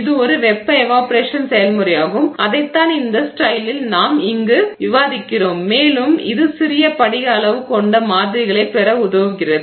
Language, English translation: Tamil, This is a thermal evaporation process and that is what we have described in this slide here and it helps you get samples with small crystal size